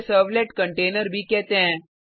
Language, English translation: Hindi, A servlet is deployed in a servlet container